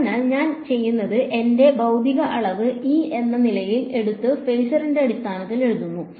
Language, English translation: Malayalam, So, what I do is I keep I take my physical quantity over here that is E and I write it in terms of phasor